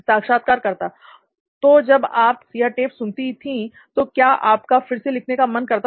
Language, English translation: Hindi, So while you were listening to these tapes, would you again like to write